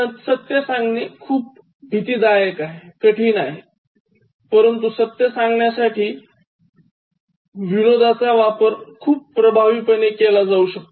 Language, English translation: Marathi, Otherwise, it is very intimidating to share the truth, but humour can be used very effectively to tell the truth